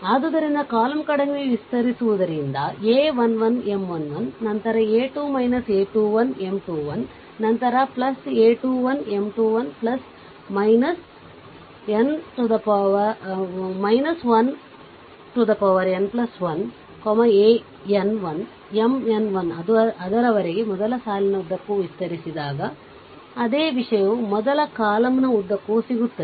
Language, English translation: Kannada, So, expanding towards the column so, a 1 1, M 1 1, then a 2 minus a 2 1 M 2 1 plus minus plus, minus plus, then plus a 3 1 M 3 1 plus upto that minus 1 to the power n plus 1 a n 1, M n 1 here also while I am explaining this plus minus plus minus, right